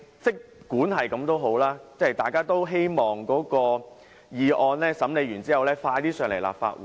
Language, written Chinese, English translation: Cantonese, 儘管如此，大家都希望《條例草案》完成審議能盡快提交立法會。, Nonetheless we all hope that the scrutiny of the Bill would be completed as soon as possible and be submitted to the Legislative Council